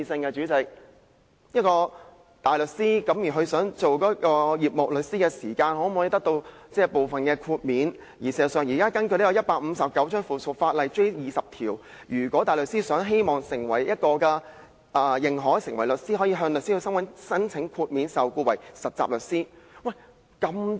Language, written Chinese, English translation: Cantonese, 關於大律師轉為事務律師時可否得到部分豁免，根據《實習律師規則》第20條，如果大律師希望成為認可的事務律師，可以向香港律師會申請豁免受僱為實習律師。, When a barrister wants to become a solicitor will he be granted certain exemptions? . Under Rule 20 of the Trainee Solicitors Rules Cap . 159J a barrister may apply for an exemption from employment under a trainee solicitor contract from The Law Society of Hong Kong if he wishes to be admitted as a solicitor